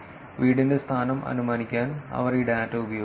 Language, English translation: Malayalam, They used this data to infer the home location